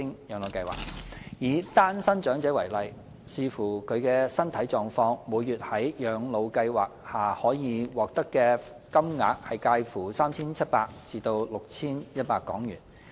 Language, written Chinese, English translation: Cantonese, 以單身長者為例，視乎其身體狀況，每月在養老計劃下可獲發金額介乎 3,700 港元至 6,100 港元。, The payment under PCSSA ranges from 3,700 to 6,100 per month for elderly singletons depending on their health condition